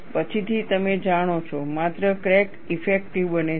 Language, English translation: Gujarati, Afterwards, you know, only the crack becomes effective